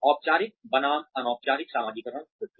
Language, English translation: Hindi, Formal versus informal socialization process